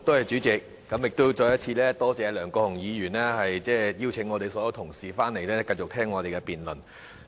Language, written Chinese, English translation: Cantonese, 再次多謝梁國雄議員邀請所有同事回來，繼續聆聽我們的辯論。, I thank Mr LEUNG Kwok - hung again for inviting all the Honourable colleagues to return here to continue to listen to our debate